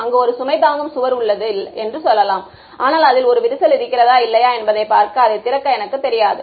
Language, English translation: Tamil, Let us say there is a load bearing wall I cannot you know open it up to see whether is a crack in it or not